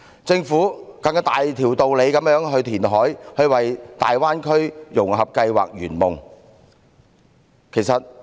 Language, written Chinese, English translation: Cantonese, 政府更有大條道理進行填海，為大灣區的融合計劃圓夢。, The Government seems even more justifiable to conduct reclamation to fulfil the integration plan of the Greater Bay Area as it has desired